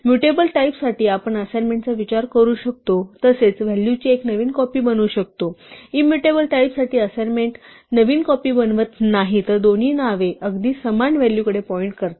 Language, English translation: Marathi, For mutable types we can think of assignment as making a fresh copy of the value and for immutable types and for mutable types assignment does not make a fresh copy it rather makes both names point to exactly the same value